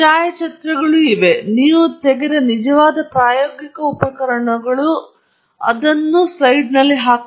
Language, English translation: Kannada, There are photographs actual experimental equipment you photograph and you put it up; so, that is something that you do